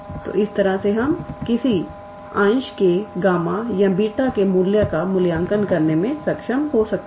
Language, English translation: Hindi, So, we can be able to evaluate the value of how do say gamma of some fraction or beta of some fraction